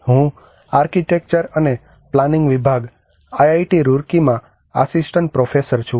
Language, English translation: Gujarati, I am an assistant professor in Department of Architecture and Planning, IIT Roorkee